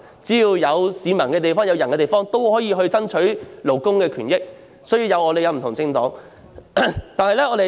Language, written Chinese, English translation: Cantonese, 只要是有市民、有人的地方，就可以爭取勞工權益，這正是香港有不同政黨的原因。, So long as there are members of the public or people there will be fight for the rights and interests of workers . This is precisely why there are a myriad of political parties in Hong Kong